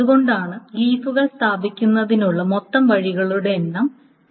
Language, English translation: Malayalam, That is why the total number of leaves can be placed is factorial n